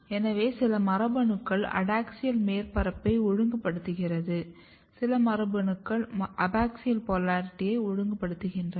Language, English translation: Tamil, So, some genes are regulating adaxial surface some genes are regulating abaxial polarity we will see